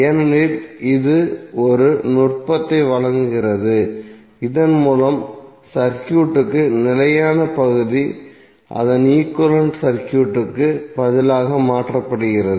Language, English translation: Tamil, Because it provides a technique by which the fixed part of the circuit is replaced by its equivalent circuit